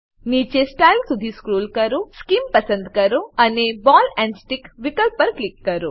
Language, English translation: Gujarati, Scroll down to Style, select Scheme and click on Ball and Stick option